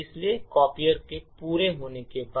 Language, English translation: Hindi, Therefore, after the copier completes its execution